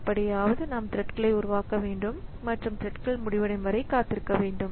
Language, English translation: Tamil, So, somehow we need to create the threads and join wait for the threads to be over